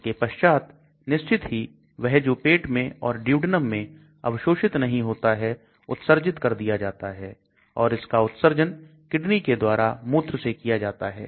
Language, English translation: Hindi, Then of course it gets excreted which may not get absorbed in the stomach or the duodenum or it can get excreted from the kidney through urine